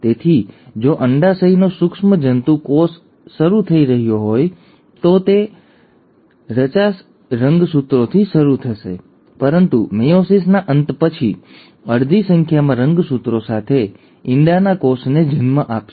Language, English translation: Gujarati, So, if the germ cell of the ovary is starting, it will form, it will start with forty six chromosomes but after the end of meiosis, will give rise to an egg cell with half the number of chromosomes